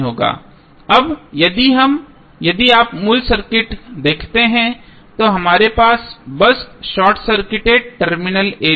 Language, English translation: Hindi, Now, if you see the original circuit we have just simply short circuited the terminal a, b